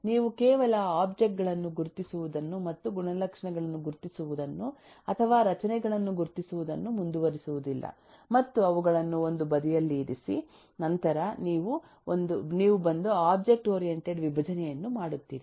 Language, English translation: Kannada, you you do not just keep on identifying objects and eh identifying attributes or identifying structures and keep them one side and then you come and do object oriented decomposition